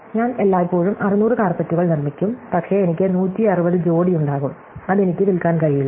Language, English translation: Malayalam, Therefore, I will always produce 600 carpets, but I will have 160 pairs which I cannot sell that